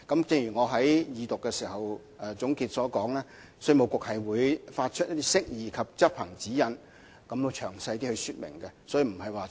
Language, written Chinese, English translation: Cantonese, 正如我在二讀辯論總結時所說，稅務局會發出釋義及執行指引，提供比較詳細的說明。, As I have pointed out while making my concluding speech during the Second Reading debate IRD will issue guidelines on definitions and implementations in order to provide more detailed illustrations